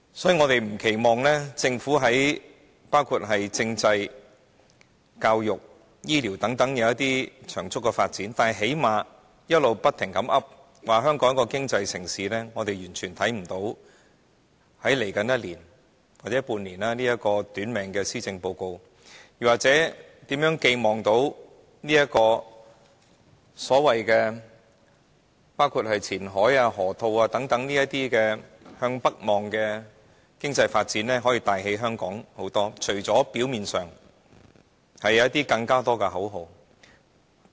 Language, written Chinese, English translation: Cantonese, 所以，我們不奢望政府能在包括政制、教育、醫療等方面作出長足的發展，但最低限度在他們經常掛在嘴邊，香港作為一個經濟城市這方面，我們完全看不到在未來一年或半年內，能對這份短命的施政報告寄予任何期望，又或希望前海、河套等向北望的經濟發展計劃，能為香港發揮一些甚麼帶動經濟的作用，除了表面上能創造更多口號之外。, We do not cherish any excessive hope that the Government can achieve really substantial progress in various areas like constitutional reform education health care and so on . But to say the very least in respect of Hong Kong as an economic city something they keep talking about we fail completely to see why we can ever expect this Policy Address with such a short life span to achieve anything in the coming six months or one year . Nor do we expect that all those northward - looking economic development projects in Qianhai and the Loop can really bring forth anything to boost the economy of Hong Kong except an illusion of opportunities painted by numerous slogans